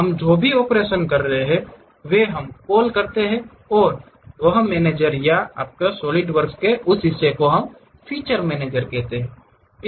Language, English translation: Hindi, Whatever these operations we are doing features we call and that manager or that portion of your Solidworks we call feature manager